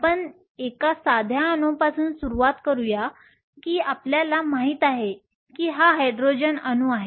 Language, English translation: Marathi, Let us start with a simplest atom that we know that is the Hydrogen atom